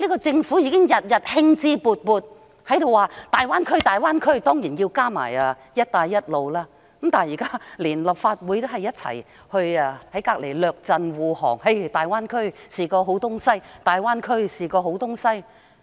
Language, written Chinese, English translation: Cantonese, 政府每天興致勃勃地談論大灣區，還有"一帶一路"，連立法會現時也在旁列陣護航，日以繼夜地指大灣區是好東西。, The Government has advocated the Greater Bay Area and also the One Belt One Road very enthusiastically every day . And these days even some Legislative Council Members have sided with the Government and spoken in defence of it singing praises of the Greater Bay Area day after night